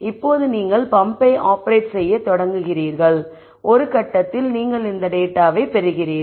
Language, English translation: Tamil, Now you start operating the pump and then at some point you get this data and then you ask the following question